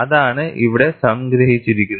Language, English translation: Malayalam, That is what is summarized here